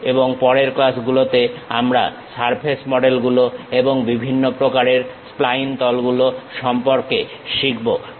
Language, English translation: Bengali, And, in the next classes we will learn more about surface models and different kind of spline surfaces